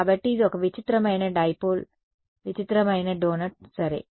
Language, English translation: Telugu, So, it is a weird dipole weird donut ok